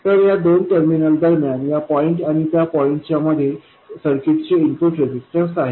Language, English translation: Marathi, So, between these two terminals, between this point and that, it is nothing but the input resistance of the circuit